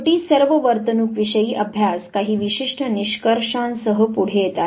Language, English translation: Marathi, All behavioral studies at the end they would come forward with certain type of findings